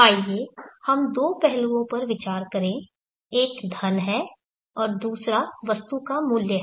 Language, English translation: Hindi, Let us consider the two aspects one is money and another is the value of the item